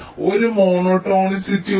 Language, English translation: Malayalam, there is a monotonicity